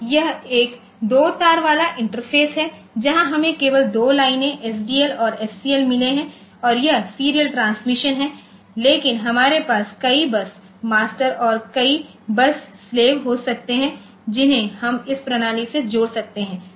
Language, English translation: Hindi, So, this is a two wire interface where we have got only two lines SDA and SCL and which is serial transmission this is serial transmission, but we can have multiple bus masters and multiple bus slaves that we can connect to this system